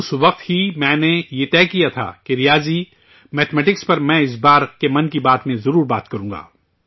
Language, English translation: Urdu, At that very moment I had decided that I would definitely discuss mathematics this time in 'Mann Ki Baat'